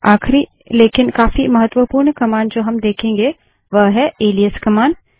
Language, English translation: Hindi, The last but quite important command we will see is the alias command